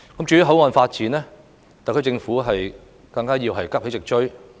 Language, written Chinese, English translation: Cantonese, 至於口岸發展，特區政府更要急起直追。, As for the development of boundary control points the SAR Government has to rouse itself to catch up